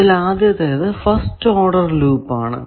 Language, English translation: Malayalam, The first thing is called first order loop